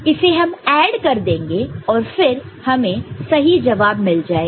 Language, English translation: Hindi, So, we add them up then we can get it right